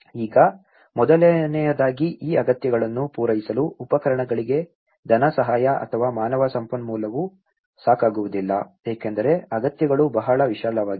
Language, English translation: Kannada, Now, first of all, neither funding nor the human resource for equipments are not adequate to meet these needs because the needs are very vast